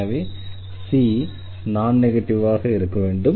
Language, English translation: Tamil, So, this c has to be non negative